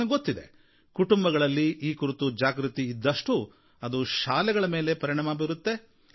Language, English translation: Kannada, I believe that when there is awareness in the family, it impacts the school and has an impact on teachers as well